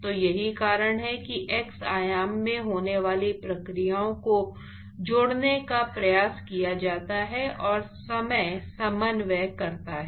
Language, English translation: Hindi, So, this is the reason for trying attempting to relate the processes which are occurring in x dimension, and the time coordinates